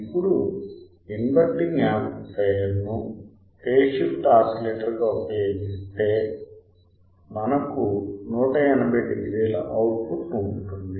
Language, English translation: Telugu, Now, if we use inverting amplifier as phase shift oscillator we had 180 degree output